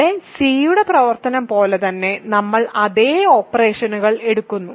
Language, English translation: Malayalam, So, here we are taking the same operations, as the operations on C